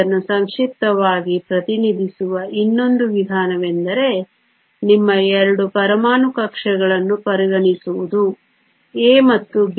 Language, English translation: Kannada, Another way to represent this compactly is to consider your 2 atomic orbitals A and B